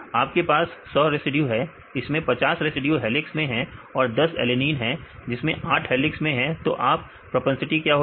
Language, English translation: Hindi, You have 100 residues right and the 50 residues are helix right and the alanine if there are 10 alanine and 7 are, 8 are in helix right what is the propensity